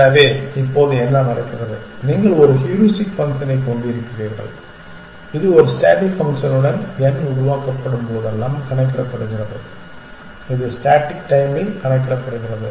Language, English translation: Tamil, So, what happens now you have a heuristic function which is computed whenever n is generated with a static function this is computed in constant time